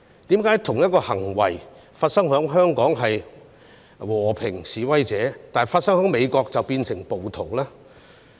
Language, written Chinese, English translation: Cantonese, 為何同一種行為發生在香港就是和平示威，但發生在美國便變成暴動呢？, How come the same act in Hong Kong was regarded as a peaceful protest whereas it became a riot in the US?